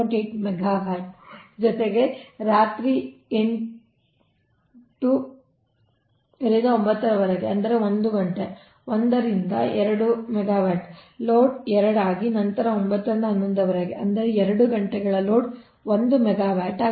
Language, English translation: Kannada, then eight pm to nine, one hour, it is two megawatt, it is two megawatt, and nine pm to eleven am one megawatt